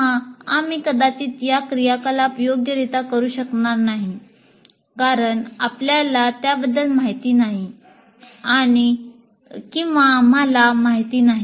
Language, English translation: Marathi, Or we may not be able to perform these activities properly because we are not aware of it and we do not know what is earlier